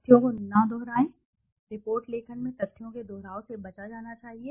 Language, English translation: Hindi, Don't repeat facts, duplication of facts should be avoided in report writing